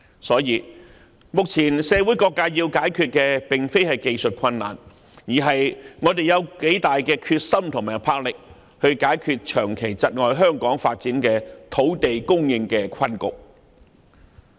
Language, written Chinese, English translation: Cantonese, 所以，目前社會各界要解決的並非技術困難，而是我們有多大的決心和魄力解決長期窒礙香港發展的土地供應困局。, Therefore I will say that it is not technical difficulties that various social sectors must resolve at present . Instead all depends on our determination and resolution to tackle the land supply predicament that has come to hinder Hong Kongs development over all these years